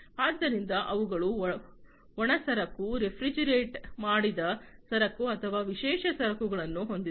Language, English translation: Kannada, So, they have the dry cargo, refrigerated cargo or special cargo